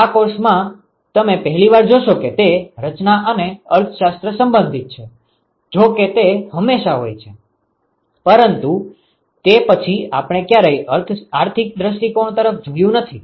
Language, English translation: Gujarati, So, this is the first time you will see in this course where the design and the economics are related; although it is always there, but then we never looked at the economic point of view